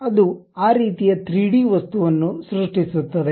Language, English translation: Kannada, It creates that kind of 3D object